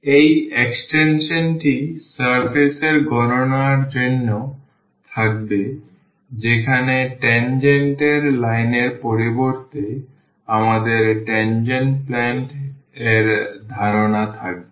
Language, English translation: Bengali, The extension of this we will have for the computation of the surface where instead of the tangent line we will have the concept of the tangent plane